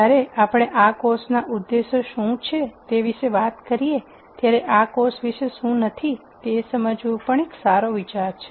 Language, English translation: Gujarati, While we talk about what the objectives of this course are it is also a good idea to understand what this course is not about